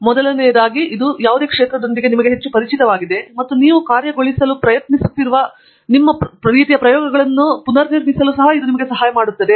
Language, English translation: Kannada, First of all, it makes you very familiar with the area and it also helps you built your sort of the kinds of experiments that you are trying to try out